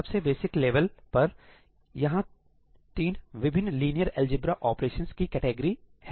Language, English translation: Hindi, At the most basic level , there are three different categories of linear algebra operations